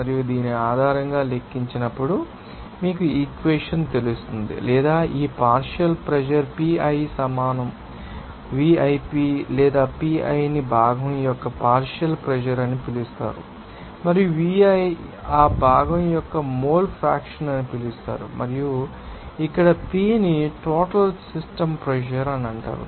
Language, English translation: Telugu, And calculated based on this, you know equation or as this partial pressure is defined as the pi is equal yip or pi is called partial pressure of component and yi is called the mole fraction of that component i and here P is called you know total pressure of the system